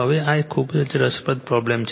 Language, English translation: Gujarati, Now, , this is a very interesting problem